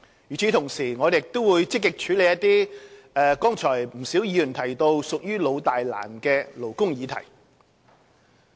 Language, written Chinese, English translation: Cantonese, 與此同時，我們亦會積極處理一些剛才不少議員提到，屬於老、大、難的勞工議題。, Meanwhile we will also actively deal with some long - standing major and difficult labour issues mentioned by quite a number of Honourable Members earlier on